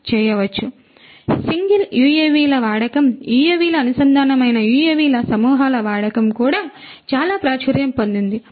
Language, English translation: Telugu, So, UAVs single UAVs use of single UAVs are quite common use of swarms of UAVs connected UAVs is also becoming quite popular